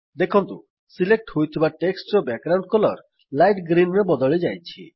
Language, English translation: Odia, We see that the background color of the selected text changes to light green